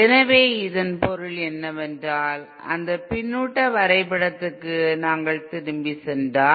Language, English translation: Tamil, So this in turn means if we go back to if we go back to that feedback diagram